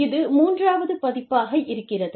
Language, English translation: Tamil, This is the third edition